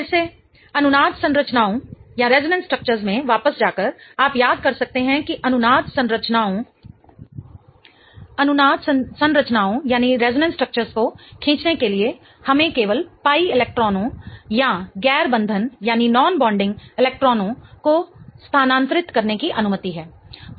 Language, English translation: Hindi, Again going back to resonance structures, you can remember that in order to draw the resonance structures we are only allowed to move pi electrons or non bonding electrons right